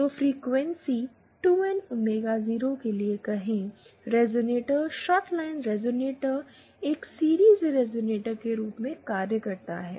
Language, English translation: Hindi, So say for frequencies 2 N omega 0, this resonator, the shorted line resonator acts as a series resonator